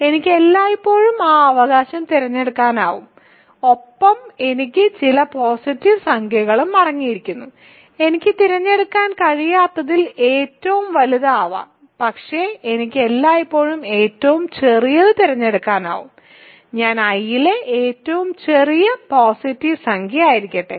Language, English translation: Malayalam, I can always choose that right and I consists of some positive integers, I can I cannot pick may be the largest one, but I can always pick the smallest one so, let n be that let n be the smallest positive integer in I